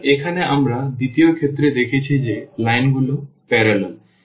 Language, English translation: Bengali, So, here we have seen the in the second case that the lines are parallel